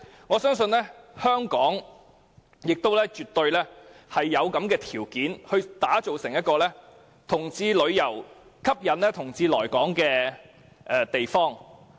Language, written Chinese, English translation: Cantonese, 我相信香港亦絕對有條件吸引同志到來，打造成為歡迎同志旅遊的地方。, I believe Hong Kong has the edges to attract LGBTs and can become an LGBT tourist hub